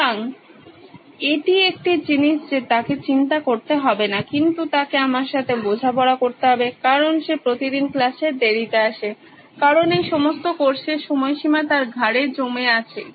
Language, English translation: Bengali, So, that’s one thing that he does not have to worry but he has to deal with me because he comes late to class every time, because all these course deadline piling on his neck